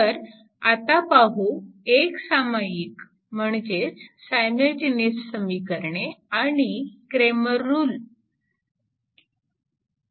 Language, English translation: Marathi, So, this is simultaneous equations and cramers rule